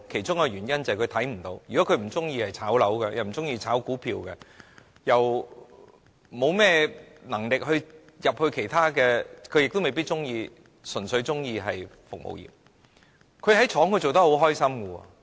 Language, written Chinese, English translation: Cantonese, 他們可能不喜歡"炒樓"或"炒股票"，沒有能力加入其他行業，亦未必喜歡從事服務業；他們在工廠內工作得很快樂。, They may not like speculation in properties or stocks and they are not capable of joining other professions . They may not like to join the service industry either . They are happy with working in factories